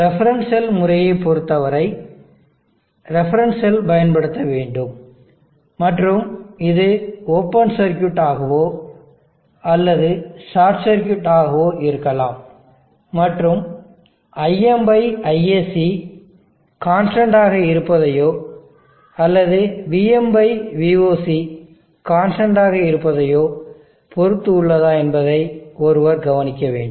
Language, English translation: Tamil, One should note that, in case of the reference cell method, a reference cell is used an its either open circuit or short circuited depending upon whether it is, IM/ISC kept constant or VM/VOC kept constant